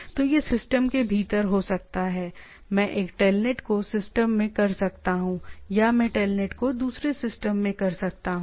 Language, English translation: Hindi, So, it can be within the system I can do a telnet into the within the system or I can do a telnet to a other system right